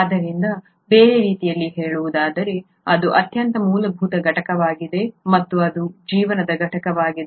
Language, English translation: Kannada, Ó So in other words it is the most fundamental unit and it is the unit of life